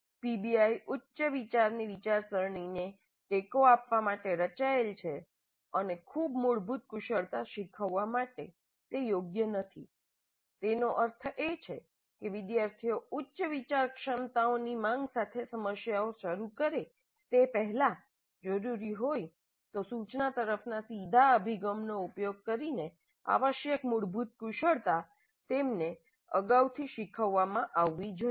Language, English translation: Gujarati, PBI is designed to support higher order thinking and is not appropriate for teaching very basic skills which means that before the students start with problems demanding higher order abilities the basic skills that are required must have been taught earlier if necessary using more direct approach to instruction